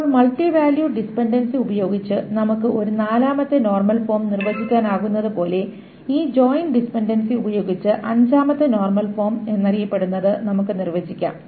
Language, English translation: Malayalam, Now just as we could define a fourth normal form using the multivalue dependency, we can define what is known as the fifth normal form using this joint dependency